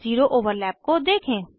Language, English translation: Hindi, Observe zero overlap